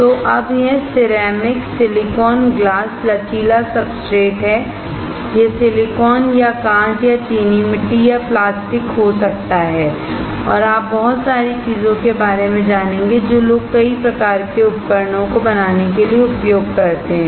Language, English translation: Hindi, So, now this is ceramic silicon glass flexible substrate; This s can be silicon or glass or ceramic or plastic and you will come across a lot of things that people use to fabricate several kinds of devices